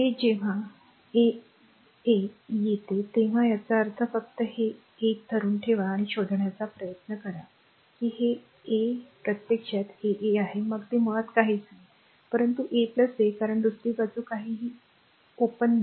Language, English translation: Marathi, This one when you come that R 1 3; that means, just hold on this is 1 and this is 3 try to find out R 1 3 this is actually R 1 3 then it is star right basically is nothing, but R 1 plus R 2 because other side is nothing is there open